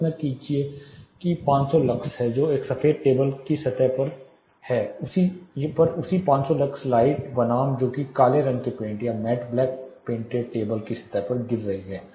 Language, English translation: Hindi, Imagine there is 500 lux which is following on a white table surface versus the same 500 lux light which is incident or falling on a black painted or mat black painted table surface